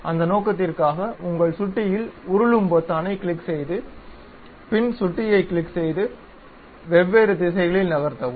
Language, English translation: Tamil, For that purpose you click your scroll button, click and move the mouse in different directions ok